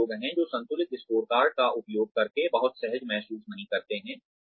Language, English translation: Hindi, There are people, who do not feel very comfortable, using the balanced scorecard